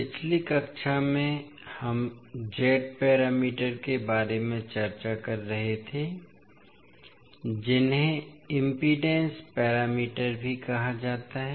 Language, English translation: Hindi, Namaskar, so in the last class we were discussing about the Z parameters that is also called as impedance parameters